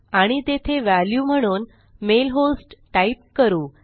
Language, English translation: Marathi, And I type the mail host in there as the value